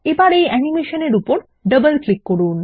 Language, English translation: Bengali, Double click on this animation again